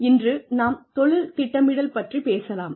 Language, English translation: Tamil, Today, we will be talking about, Career Planning